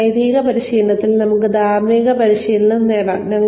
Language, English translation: Malayalam, We can have ethics training, in an ethical practice